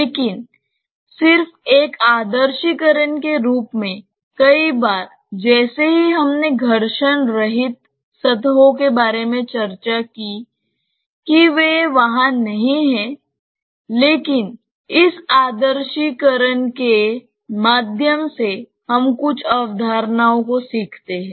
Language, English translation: Hindi, But just as an idealization, just like many times we discussed about frictionless surfaces not that they are there, but through this idealization we learn certain concepts